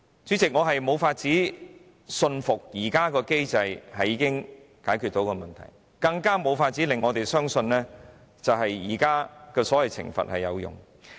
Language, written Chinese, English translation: Cantonese, 主席，我無法信服現時的機制已經能夠解決問題，更無法相信現行的所謂懲罰有用。, President I am not convinced that the existing mechanism can solve the problems . Nor can I believe in the effectiveness of the existing so - called punishment